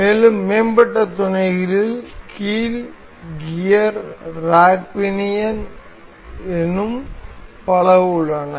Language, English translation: Tamil, And higher advanced mates, hinge, gear, rack pinion, there are many more